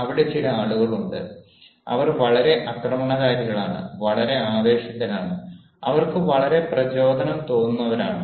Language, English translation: Malayalam, there are some people ah, of course they are are very aggressive, very excited ah, they feel very motivated